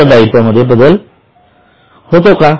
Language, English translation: Marathi, Are the liability changing